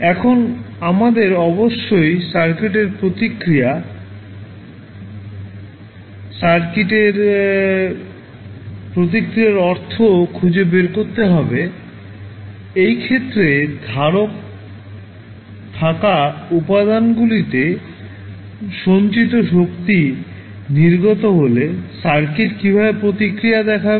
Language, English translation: Bengali, Now that we have to do, we have to find out the circuit response, circuit response means, the manner in which the circuit will react when the energy stored in the elements which is capacitor in this case is released